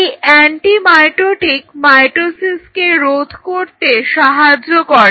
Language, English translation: Bengali, Anti mitotic is something which prevents the mitosis to happen